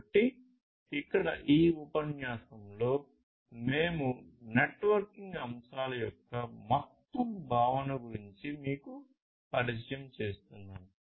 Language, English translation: Telugu, So, here in this lecture we are simply introducing you about the overall concept of the networking aspects